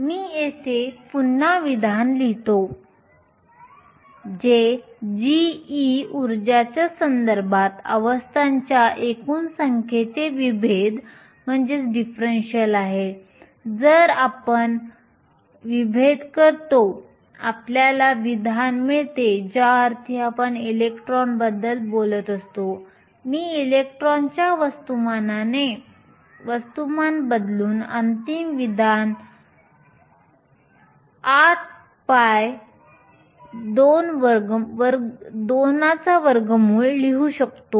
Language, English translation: Marathi, Let me rewrite the expression here g of e is the differential of the total number of states with respect to energy if we do the differential, expression we get since we are talking about electrons I will replace the mass by the mass of the electrons to write the final expression is 8 pi root 2